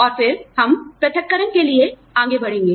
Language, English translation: Hindi, And then, we move on to separation